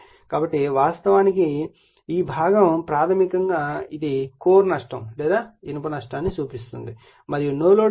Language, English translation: Telugu, So, this component actually basically it will give your core loss or iron loss and the no load condition right